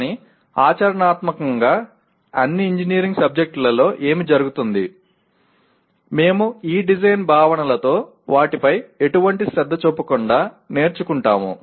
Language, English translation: Telugu, But what happens in practically all the engineering subjects, we grow with these design concepts without almost paying any attention to them